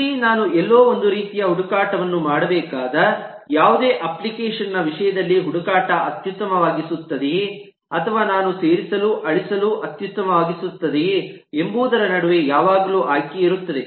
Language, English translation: Kannada, similarly, in terms of any application that needs to do some kind of a search somewhere, there is always a choice between do i optimize on search or do i optimize on insert delete